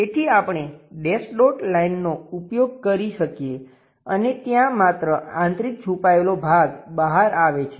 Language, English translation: Gujarati, So, we can use by dash dot lines and only internal hidden portion comes out there